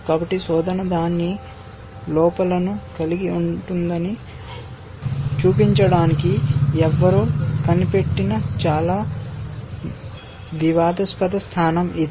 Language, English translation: Telugu, So, it is a very contrite position somebody invented it just to show that search can have its drawbacks